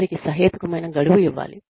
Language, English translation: Telugu, They should be given, reasonable deadlines